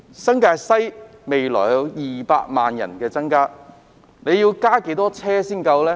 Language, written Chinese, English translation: Cantonese, 新界西的人口未來會增加到200萬人，要增設多少路線才足夠呢？, In the future the population of New Territories West will increase to 2 million . How many additional routes will suffice?